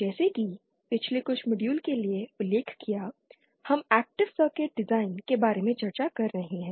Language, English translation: Hindi, As you must be must have noted for the past few modules we have been discussing about active circuit design